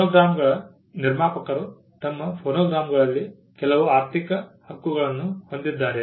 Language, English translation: Kannada, The producers of phonograms also had certain economic rights in their phonograms